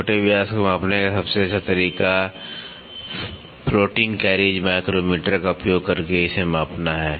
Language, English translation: Hindi, The best way to measure the minor diameter is to measure its using floating carriage micrometer